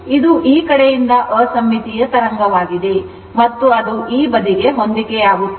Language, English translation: Kannada, It is unsymmetrical wave from this side than this side